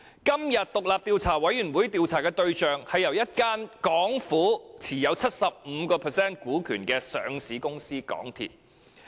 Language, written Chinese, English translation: Cantonese, 今次獨立調查委員會調查的對象，是由政府持有 75% 股權的上市公司港鐵公司。, The subject of inquiry by the independent Commission of Inquiry this time is MTRCL a listed company in which the Government has a 75 % stake